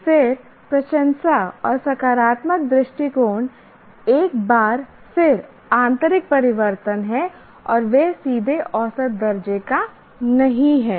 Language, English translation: Hindi, Then appreciation and positive attitude, again once again are internal changes and they are not directly measurable